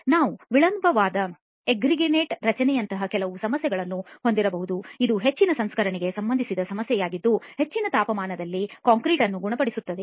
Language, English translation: Kannada, We may also have some problems like delayed ettringite formation which is more of a processing related issue where concrete is cured at high temperatures